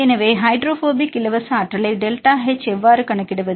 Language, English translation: Tamil, So, how to calculate the hydrophobic free energy right delta h